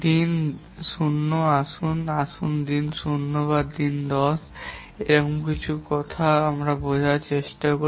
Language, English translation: Bengali, The day zero, let's try to understand what exactly is meant by day zero or day 10 or something